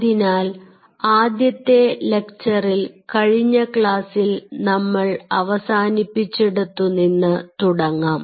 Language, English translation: Malayalam, so the first lecture today we will be follow up on what we finished in the last class